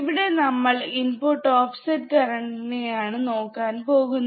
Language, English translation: Malayalam, Here, we are looking at input offset current